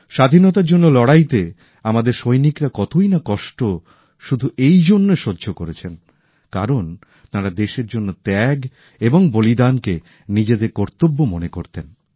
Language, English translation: Bengali, In the struggle for freedom, our fighters underwent innumerable hardships since they considered sacrifice for the sake of the country as their duty